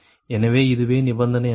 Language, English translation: Tamil, so, so this is that the